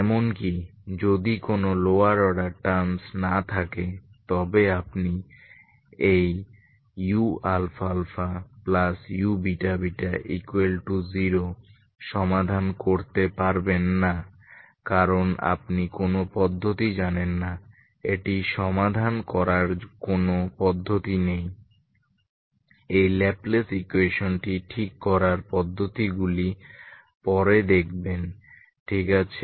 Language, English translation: Bengali, Even if there are no lower order terms you cannot solve this U alpha alpha plus U beta beta equal to zero because you don’t know any method, don’t have method to solve it will see the methods later how to solve this Laplace equation ok